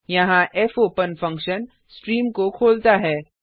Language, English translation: Hindi, Here, the fopen function opens a stream